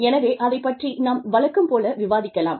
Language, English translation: Tamil, So, let us get on with it, as usual